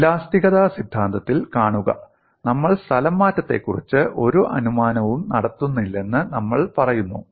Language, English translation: Malayalam, It is very important; see in theory of elasticity, we keep saying we are not making any assumption about the displacement